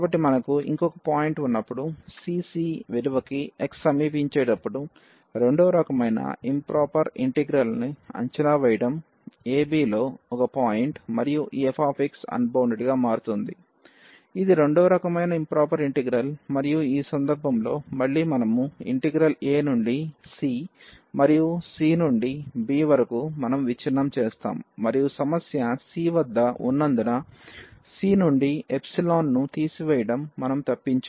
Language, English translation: Telugu, So, evaluation of improper integral of second kind when we have a some other point as x approaching to c c is a point in a b and this f x is becoming unbounded so, this is the improper integral of the second kind and in this case again we will use the trick that the integral a to c and c to b we will break and since the problem was at c so, we have avoided by subtracting epsilon from c